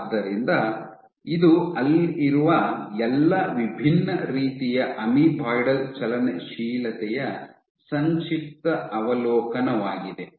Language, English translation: Kannada, So, this is just a brief overview of all the different types of amoeboidal motility you might have